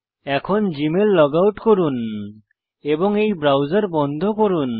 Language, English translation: Bengali, Lets log out of Gmail and close this browser